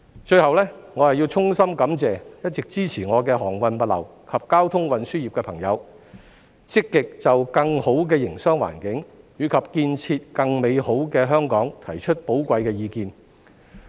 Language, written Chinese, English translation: Cantonese, 最後，我要衷心感謝一直支持我的航運物流及交通運輸業的朋友積極就更好的營商環境及建設更美好的香港提出寶貴的意見。, Lastly I would like to extend my heartfelt gratitude to my friends in the shipping logistics and transport sectors for actively putting forth their valuable views on creating a more enabling business environment and building a better Hong Kong